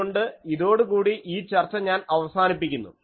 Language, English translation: Malayalam, , So, with this, I end this discussion